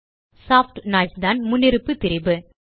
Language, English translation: Tamil, Soft noise is the default distortion